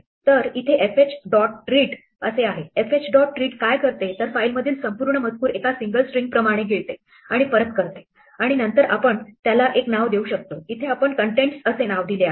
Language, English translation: Marathi, So, we say fh dot read, what fh dot read does is it swallows the entire contents the file as a single string and returns it and then we can assign it to any name, here we use the name contents